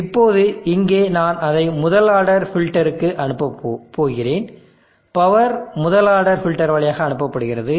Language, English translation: Tamil, Now here also I am going to pass it through to first order filters, power is passed through a first order filter